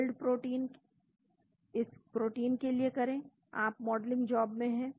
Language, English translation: Hindi, Build model this protein that will be, you are in modelling job